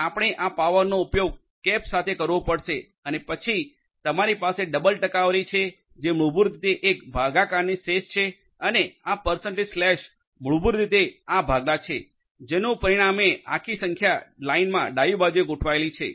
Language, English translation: Gujarati, So, you have to use this power with the cap then you have double percentage which is basically the remainder of a division and this percentage slash percentage basically this is the division resulting in a whole number adjusted to the left in the number line